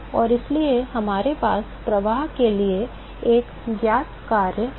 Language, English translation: Hindi, And so, we have a known function for the flux